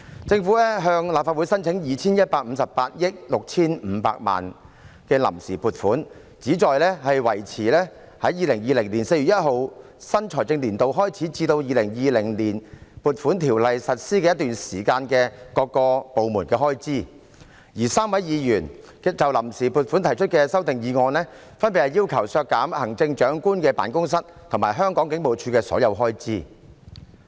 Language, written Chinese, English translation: Cantonese, 政府向立法會申請 2,158 億 6,500 萬元的臨時撥款，旨在維持在2020年4月1日新財政年度開始至《2020年撥款條例》實施的一段期間的各部門開支，而3位議員就臨時撥款決議案提出的修訂議案，分別要求削減特首辦及香港警務處的所有開支。, The Government seeks funds on account amounting to 215.865 billion from the Legislative Council in order to cope with the expenditures of various departments between the start of the financial year on 1 April 2020 and the time when the Appropriation Ordinance 2020 comes into operation . The amending motions proposed by the three Members in respect of the Vote on Account Resolution respectively demand cutting all the expenditures of the Chief Executives Office and the Hong Kong Police Force HKPF